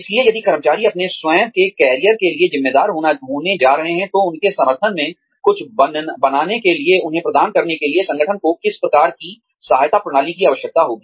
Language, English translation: Hindi, So, if employees are going to be responsible for their own careers, then, what kind of support systems, will the organization need, to provide to them, in order for them, to make something out of their careers